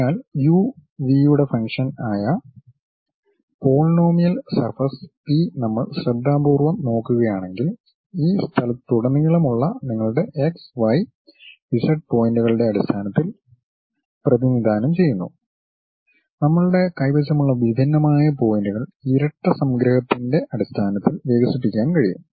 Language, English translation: Malayalam, So, if we are looking at that carefully the polynomial surface P as a function of u, v represented in terms of your x, y, z points throughout this space whatever those discrete points we have can be expanded in terms of double summation